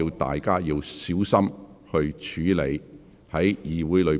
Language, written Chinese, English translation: Cantonese, 大家應小心處理議會內的事宜。, We should exercise care when handling matters in the Council